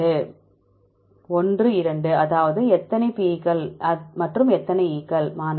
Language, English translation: Tamil, 1 2 that is it two times how many P’s and how many E’s